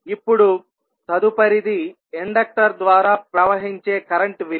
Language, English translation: Telugu, Now, next the value of current flowing through the inductor